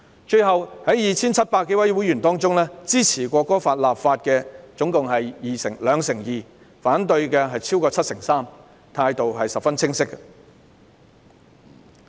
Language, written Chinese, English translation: Cantonese, 最後，在 2,700 多位會員中，支持《條例草案》的有兩成二，反對的超過七成三，態度十分清晰。, Lastly of the 2 700 - odd members surveyed 22 % supported the Bill while more than 73 % opposed it . Their stand was quite clear